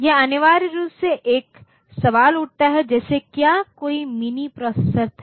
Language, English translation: Hindi, It essentially raises a question like was there any mini processor somewhere